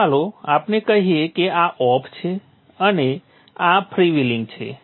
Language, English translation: Gujarati, Now when let us say this is off and this is freewheeling